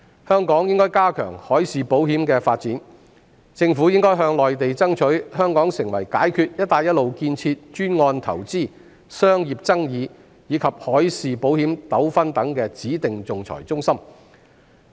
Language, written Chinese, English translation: Cantonese, 香港應該加強海事保險的發展，政府應該向內地爭取香港成為解決"一帶一路"建設專案投資、商業爭議，以及海事保險糾紛等指定仲裁中心。, Hong Kong should strengthen the development of maritime insurance . The Government should strive with the Mainland for designating Hong Kong as the arbitration centre for settling investment and commercial disputes and maritime insurance disputes in connection with the Belt and Road development projects